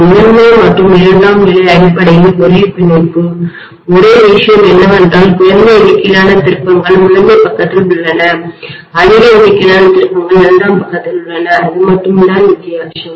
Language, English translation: Tamil, The primary and secondary are essentially the same binding, only thing is less number of turns are there in the primary side and more number of turns are there in the secondary side that’s all is the difference, right